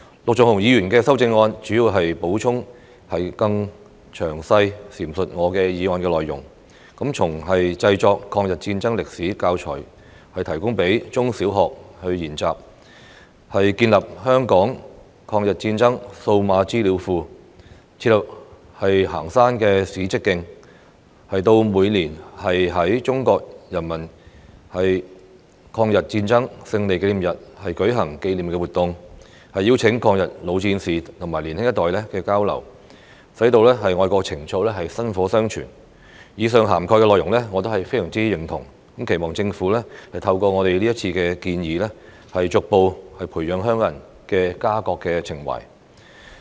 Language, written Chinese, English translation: Cantonese, 陸頌雄議員的修正案主要是補充並更詳細闡述我的議案內容，從製作抗日戰爭歷史教材供中、小學研習；建立香港抗日戰爭數碼資料庫；設立行山史蹟徑；到每年在中國人民抗日戰爭勝利紀念日舉行紀念活動，邀請抗日老戰士與年輕一代交流，使愛國情操薪火相傳；對於以上涵蓋的內容，我也非常認同，期望政府透過我們這次提出的建議，逐步培養香港人的家國情懷。, Mr LUK Chung - hungs amendment mainly seeks to supplement and elaborate on the content of my motion from the production of education packages of the history of the War of Resistance for use by primary and secondary schools the establishment of a digital database on the Hong Kong War of Resistance the setting up of heritage trails and historical hiking trails to the organization of commemorative activities on the Victory Day of the Chinese Peoples War of Resistance against Japanese Aggression every year inviting veterans of the War of Resistance to engage in exchanges with the young generation so as to pass on the torch of patriotism . I very much agree with the contents mentioned above . I hope that with the proposals put forth by Members this time the Government will gradually cultivate a sense of patriotism among Hong Kong people